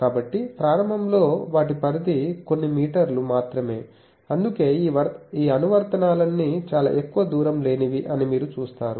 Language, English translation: Telugu, So, initially their range was only some few meters that is why you see all these applications are very close distance things the range is not much